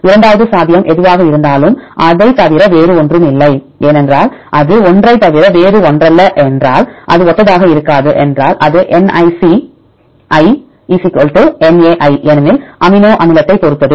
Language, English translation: Tamil, And second possibility is other than a whatever it is, because if it is other than a it is not identical if it is not a then Nic = Na because depends upon the amino acid